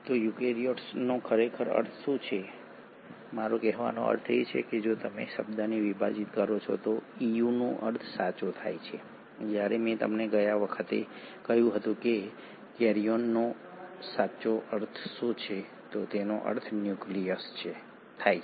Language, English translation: Gujarati, So what does eukaryote really mean, I mean if you were to split the word, “Eu” means true while karyon as I told you last time, it means nucleus